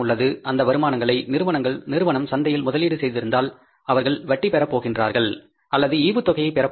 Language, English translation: Tamil, They have surplus incomes, they have invested that, the company has invested those incomes in the market, they are going to get interest or they are going to get the dividends